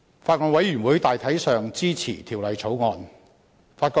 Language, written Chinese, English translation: Cantonese, 法案委員會大體上支持《2016年仲裁條例草案》。, The Bills Committee generally supports the Arbitration Amendment Bill 2016 the Bill